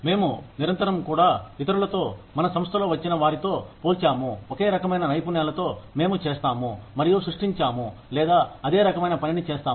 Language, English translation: Telugu, We are constantly also, comparing ourselves with others, within our organization, who come with the same set of skills, we do, and create or, do the same kind of work, we do